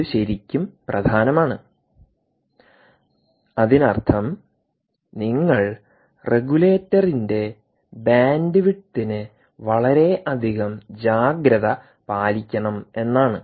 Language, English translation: Malayalam, so this is really, really important, which means you should be worried and give a lot of caution to the bandwidth of the regulator